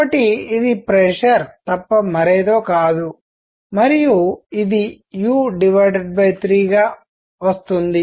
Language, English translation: Telugu, So, this is nothing, but pressure and this comes out to be u by 3